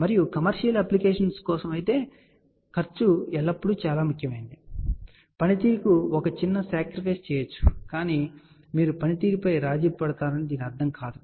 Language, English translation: Telugu, And for commercial application cost becomes always very very important and a minor sacrifice can be done to the performance, ok, but that does not mean you do over compromise on the performance, ok